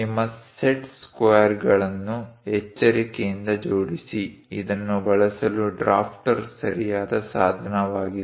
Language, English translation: Kannada, Carefully align your set squares; drafter is the right tool to use this